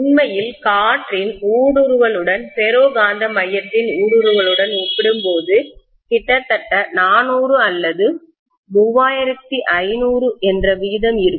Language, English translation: Tamil, In fact, there will be a ratio of almost 4000 or 3500 compared to the permeability of the ferromagnetic core vis a vis the permeability of air